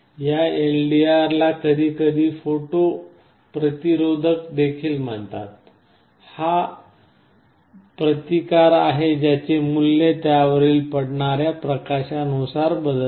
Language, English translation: Marathi, This LDR is sometimes also called a photo resistor; it is a resistance whose value changes depending on the light incident on it